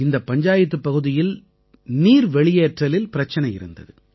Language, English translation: Tamil, This Panchayat faced the problem of water drainage